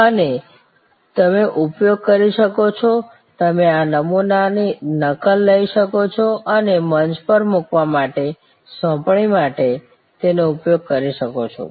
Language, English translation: Gujarati, And you can use, you can take a print out of this template and use it for your assignment for uploading on to the forum